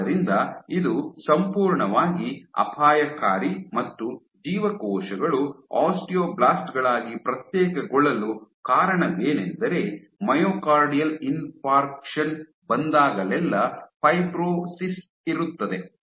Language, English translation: Kannada, So, this would be completely dangerous and the reason why the cells were found to differentiate into osteoblasts was because whenever you have myocardial infarction you have fibrosis